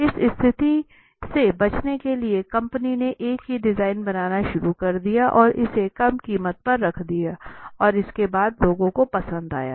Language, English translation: Hindi, So to avoid this situation, the company started making the same design and placing it at lesser price and after it the result was obviously the people when they liked it